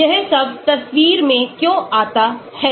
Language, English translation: Hindi, So, why does all this come into picture